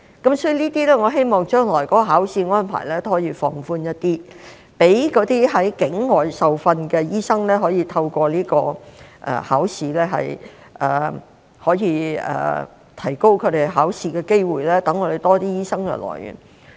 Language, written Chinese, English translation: Cantonese, 我希望將來的考試安排可以稍為放寬，讓那些在境外受訓的醫生可以參加這個考試，提高他們考試的機會，以增加本港醫生的來源。, I hope that the future examination arrangements can be relaxed a bit so that those NLTDs can take the examination and their chances of taking the examination can also be increased thereby widening the pool of doctors in Hong Kong